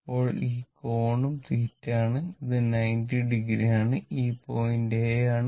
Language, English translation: Malayalam, Then, this angle is also theta and this is 90 degree